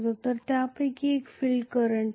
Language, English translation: Marathi, So one of them happens to be the field current